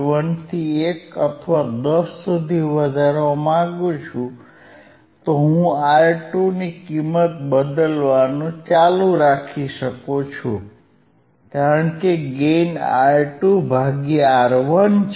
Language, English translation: Gujarati, 1 to 1 or to 10, I can keep on changing the value of R 2 I can keep on changing value of R 2 because I have gain which is R 2 by R 1, right